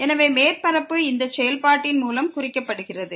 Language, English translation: Tamil, So, the surface is represented by this function as is equal to